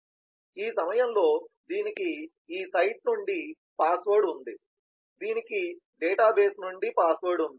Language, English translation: Telugu, so at this point, it has the password from this site, it has a password from the system